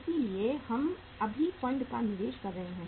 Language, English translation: Hindi, So we are investing the funds now